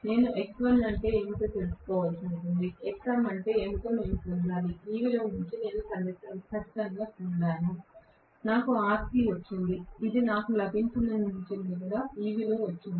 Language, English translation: Telugu, I will have to find out what is x1, I have to get what is xm which I have got exactly from this value I have got rc which is also from this value what I have got